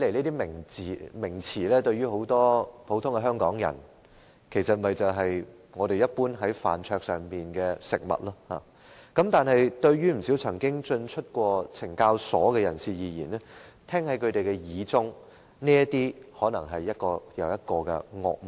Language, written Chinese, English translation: Cantonese, 這些名詞對於很多香港人來說，只是飯桌上的食物，但不少曾經進出懲教所的人聽在耳裏，卻可能是一個又一個的惡夢。, To many Hong Kong people these are names denoting dishes on the dining table only . But they may nonetheless sound like nightmares one after another to many of those who have been detained in correctional institutions